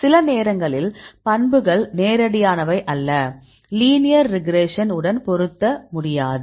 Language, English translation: Tamil, Then sometimes is not, properties are not straightforward; so, you cannot fit with the linear regression